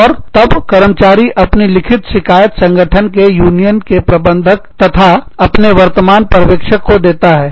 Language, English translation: Hindi, And, then the employee, gives the grievance in writing, to the union steward and immediate supervisor, in the organization